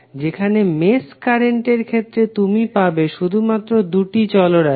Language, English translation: Bengali, While in case of mesh current method, you will have only 2 variables